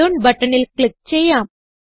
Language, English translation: Malayalam, Let us click on Iron button